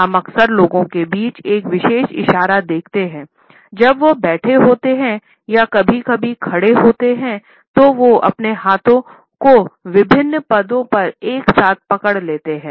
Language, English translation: Hindi, Often we come across a particular gesture among people, when they are sitting or sometimes standing over their hands clenched together in different positions